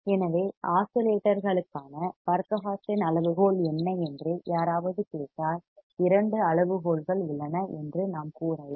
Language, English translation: Tamil, So, whenever somebody asks what are the Barkhausen criterion for oscillations, we can say that there are two criterias